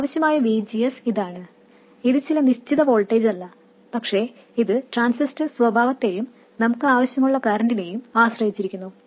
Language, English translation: Malayalam, It is not this, some fixed voltage, but it is dependent on the transistor characteristics and the current that we want to have